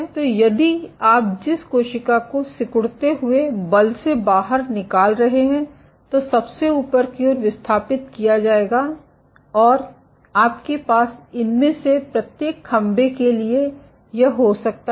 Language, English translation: Hindi, So, if the cell you are exerting contractile forces, then the tops would be displaced inward you can have this and for each of these pillars